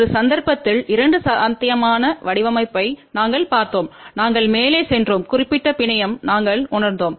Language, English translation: Tamil, Then we had seen two possible design in one case we had gone up and we realize this particular network